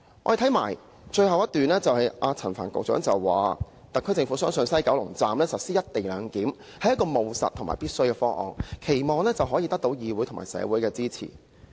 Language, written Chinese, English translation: Cantonese, 在其發言稿的最後一段，陳帆局長說："特區政府相信在西九龍站實施'一地兩檢'是務實和必要的方案，期望可以得到議會及社會的支持"。, In the last paragraph of the speech Secretary Frank CHAN says The SAR Government believes that the implementation of the co - location arrangement at the West Kowloon Station is a pragmatic and necessary proposal and hopes that it can obtain the support of the legislature and society